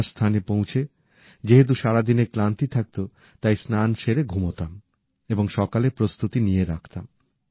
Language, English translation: Bengali, At the place where we would stay, since we would all be tired from the day's travels, we would freshen up and sleep and prepare for the morning as well